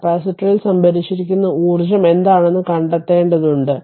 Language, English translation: Malayalam, We will have to find out that what your the energy stored in the capacitor